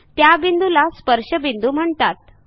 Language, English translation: Marathi, The point of contact is called point of tangency